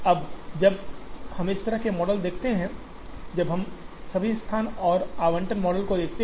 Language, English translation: Hindi, Now, when we look at a model like this, when we look at all over location and allocation models